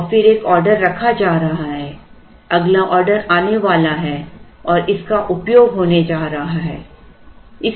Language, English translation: Hindi, And then an order is going to be placed the next order is going to arrive and it is going to be used